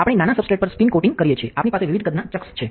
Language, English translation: Gujarati, When we are spin coating on a smaller substrate, we have chucks of different size